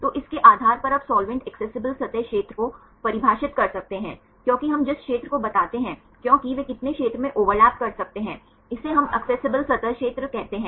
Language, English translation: Hindi, So, based on that you can define the solvent accessible surface area, because the area we tell because how much area they can overlap, this we call the accessible surface area